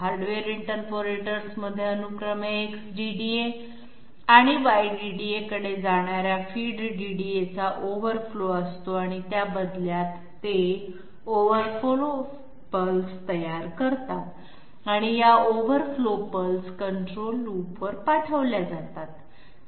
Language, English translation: Marathi, Inside the hardware interpolators were having sequentially an overflow of the feed DDA going to the going to the X DDA and Y DDA and their turn they are producing overflow pulses and these overflow pulses are sent to the control loops